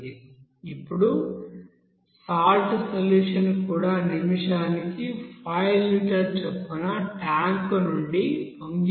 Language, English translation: Telugu, Now the salt solution also overflows out of the tank at a 5 liter per minute